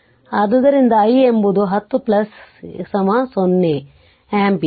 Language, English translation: Kannada, So, i is i 1 0 plus is equal to 0 ampere right